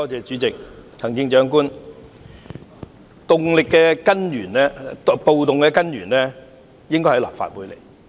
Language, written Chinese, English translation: Cantonese, 主席、行政長官，暴動的根源應該是在立法會之內。, President Chief Executive the root of the riots should have stemmed from within the Legislative Council